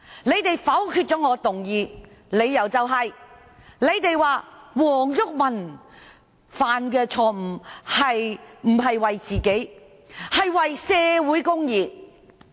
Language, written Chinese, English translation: Cantonese, 他們否決了我的議案，理由是黃毓民犯下錯誤，但不是為自己而是為社會公義。, They vetoed my motion on the ground that Mr WONG Yuk - man made the mistake not for himself but for social justice